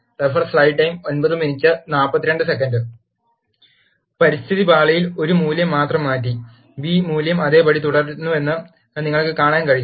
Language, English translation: Malayalam, In the Environment pane, you can see that, only value of a, has been changed and the b value remains same